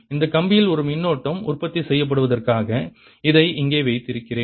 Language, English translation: Tamil, i'll put this here so that there is an current produce in this wire